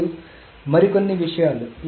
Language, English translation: Telugu, Now a couple of more things